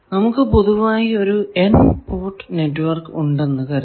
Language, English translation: Malayalam, So, let us see, suppose we have a general input network and in this is an N port network